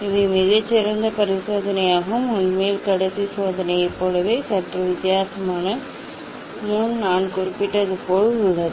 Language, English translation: Tamil, these are also very nice experiment, actually similar to the last experiment slightly difference is there as I mentioned